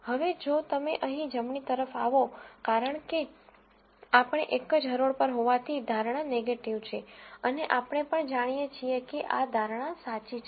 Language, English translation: Gujarati, Now, if you come to this right here, since we are on the same row, the prediction is negative and we also know that this prediction is true